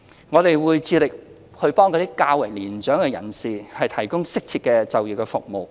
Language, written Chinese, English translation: Cantonese, 我們會致力為較年長人士提供適切的就業服務。, We will strive to provide appropriate employment services to mature persons